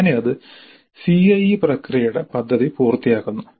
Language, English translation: Malayalam, So that completes the CIE plan process